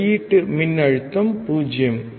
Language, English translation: Tamil, output voltage is 0